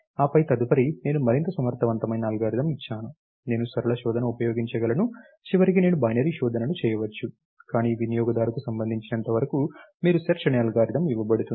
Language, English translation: Telugu, And then next I given other little more in efficient algorithm, I can using linear search, and finally I may do binary search, but as far as the user is concern you are given an algorithm called search